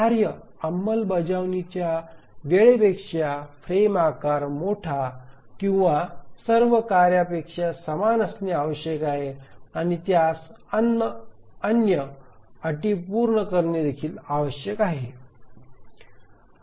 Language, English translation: Marathi, So the frame size must be larger than the execution time of all tasks, greater than equal to all tasks, and also it has to satisfy the other conditions